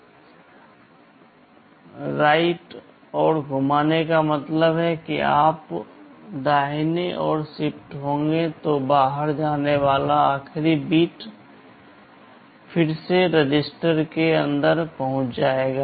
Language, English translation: Hindi, Rotate right means when you shift right the last bit coming out will again get inside the register